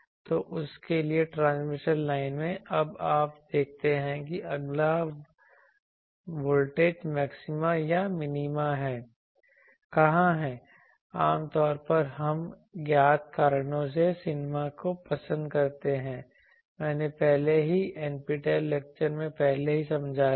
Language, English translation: Hindi, So, for that you in the transmission line you now see where is the next voltage maxima or minima, generally we prefer minima for the known reasons I have already explained earlier in earlier NPTEL lectures